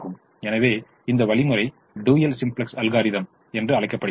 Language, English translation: Tamil, so this algorithm is called the dual simplex algorithm